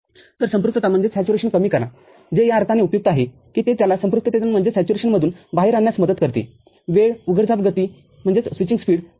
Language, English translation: Marathi, So, just stop short of saturation which is useful in the sense that it helps in bringing it out of the saturation, the time the switching speed increases